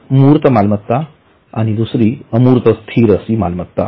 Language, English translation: Marathi, One is tangible, the other is intangible